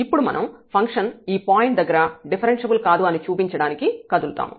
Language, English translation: Telugu, So, we will now move to show that the function is not differentiable at this point